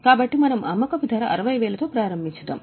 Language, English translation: Telugu, So, we have started with the selling price which is 60